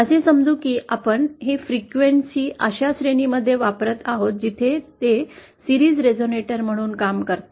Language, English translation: Marathi, Let us say we are using it in a frequency range where it acts as a series resonator